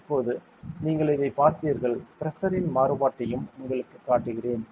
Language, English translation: Tamil, Now that you have seen this I will show you the variation in the pressure also